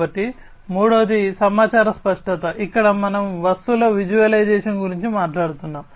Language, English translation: Telugu, So, the third one is information clarity, where we are talking about the visualization of the objects